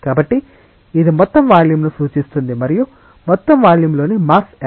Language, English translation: Telugu, So, this represents the total volume and what is the mass within the total volume